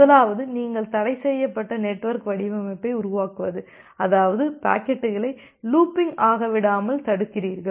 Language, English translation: Tamil, The first one is that you make a restricted network design; that means you prevent the packets from looping